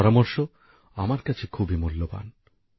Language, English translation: Bengali, These suggestions are very valuable for me